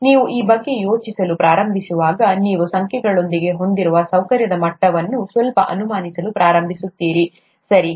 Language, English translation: Kannada, When you start thinking about this, you start slightly doubting the level of comfort you have with numbers, okay